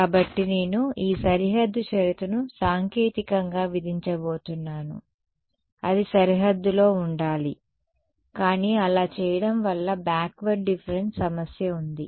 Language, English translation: Telugu, So, I am going to impose this boundary condition technically it should be on the boundary, but doing that has this problem of backward difference